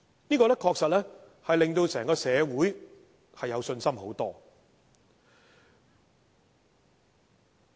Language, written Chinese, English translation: Cantonese, 這樣確實令整個社會有較大信心。, This can really give the whole society greater confidence